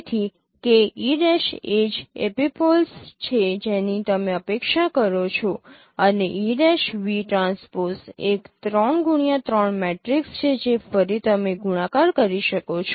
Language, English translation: Gujarati, So the k e prime is the same epipoles that you expect there and e prime v transpose it is a 3 cross 3 matrix once again you can multiply with it